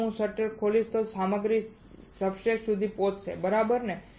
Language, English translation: Gujarati, If I open the shutter then only the materials will reach the substrate right